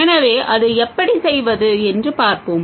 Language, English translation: Tamil, So, we will say how to do that